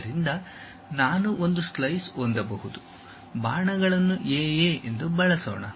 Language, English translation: Kannada, So, I can have a slice, let us use arrows A A